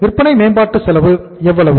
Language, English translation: Tamil, Sales promotion expense was how much